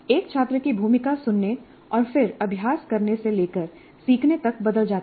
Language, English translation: Hindi, The role of a student changes from listening and then practicing to learning by doing